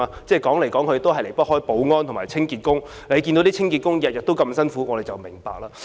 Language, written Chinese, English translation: Cantonese, 即使有也離不開保安和清潔的工作，我們看到清潔工人每天辛苦工作便會明白。, Even if there are such jobs they are either security or cleaning work . We will understand it when we see cleaners doing the hard work every day